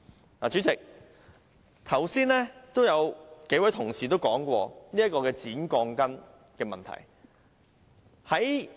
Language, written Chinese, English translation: Cantonese, 代理主席，剛才也有幾位同事提出剪短鋼筋的問題。, Deputy President some colleagues have also mentioned the problem of steel bars being cut short